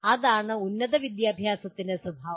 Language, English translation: Malayalam, That is the nature of higher education